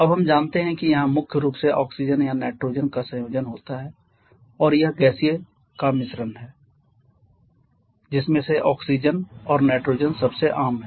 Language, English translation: Hindi, Now we know that here is a combination primarily of oxygen or nitrogen it is a mixture of gaseous out of which oxygen and nitrogen are the most common one